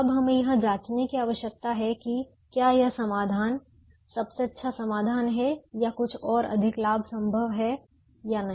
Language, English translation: Hindi, now we need to check whether this solution is the best solution or weather some more gain is possible